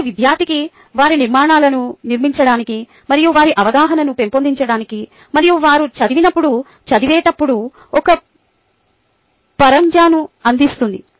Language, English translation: Telugu, ok, it provides a scaffold for the student to build their structures and to build their understanding, and so on and so forth when they go and read